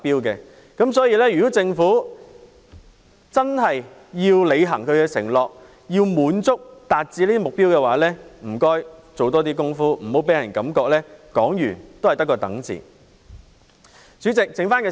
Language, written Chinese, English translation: Cantonese, 所以，如果政府要真正履行承諾，達致這個目標，請多做工夫，不要令人感到政府說完也只得個"等"字。, Therefore in order to truly deliver on its pledge and meet this target the Government should make more efforts to avoid giving the public the impression that the Government will only keep people waiting after making the suggestion